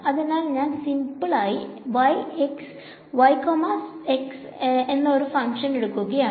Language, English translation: Malayalam, So, I am going to take a simple function y, x